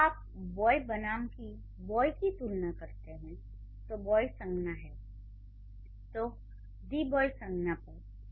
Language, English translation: Hindi, So, when you compare boy with the boy, boy is a noun, the boy is a noun phrase